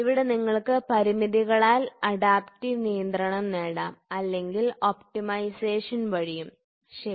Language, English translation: Malayalam, So, here you can have adaptive control by constraints or you can have by optimisation, ok